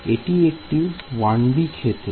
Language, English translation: Bengali, So, it is a 1 D problem